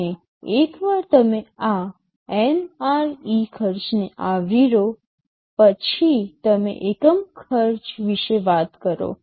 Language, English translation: Gujarati, And once you have this NRE cost covered, you talk about unit cost